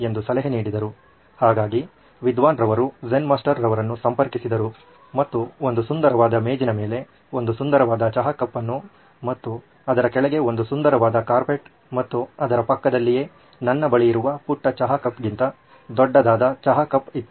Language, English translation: Kannada, So he approached, the scholar approached the Zen Master and there was a lovely tea cup on a beautiful table and a lovely carpet right underneath that and right next to it was a tea pot much bigger than my little tea pot here but it was a bigger tea pot